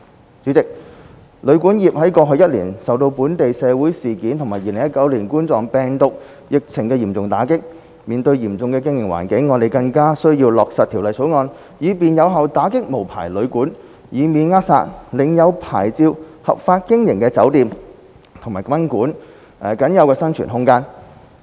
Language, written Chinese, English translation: Cantonese, 代理主席，旅館業在過去一年受到本地社會事件和2019冠狀病毒疫情嚴重打擊，面對嚴峻的經營環境，因此，我們更需要落實《條例草案》以便有效打擊無牌旅館，以免扼殺領有牌照合法經營的酒店及賓館僅有的生存空間。, Deputy President over the past year the sector of hotel and guesthouse accommodation was hit hard by local social incidents and the COVID - 19 pandemic and caught in an austere operating environment . Therefore we really need to implement the Bill in order to effectively crack down on unlicensed hotels and guesthouses so as to avoid throttling the limited room for survival of licensed hotels and guesthouses in lawful operation